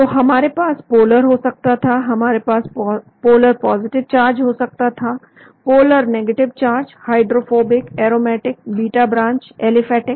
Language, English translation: Hindi, So we could have a polar, we could have a polar charged positive, polar charged negative, hydrophobic, aromatic, beta branched, aliphatic